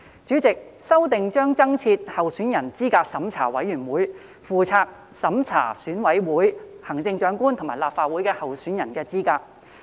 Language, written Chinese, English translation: Cantonese, 主席，修訂將增設資審會，負責審查選委會、行政長官及立法會候選人的資格。, President the amendments will establish CERC responsible for reviewing the eligibility of candidates standing for EC Chief Executive and Legislative Council elections